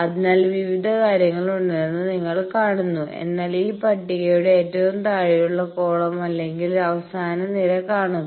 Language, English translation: Malayalam, So, you see there are various things, but see the extreme bottom column or the last column of this table